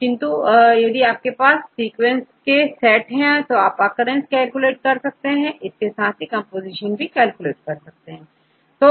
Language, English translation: Hindi, So, now, if you have set of sequence, if I give you can calculate right, you can calculate the occurrence, as well as you can calculate the composition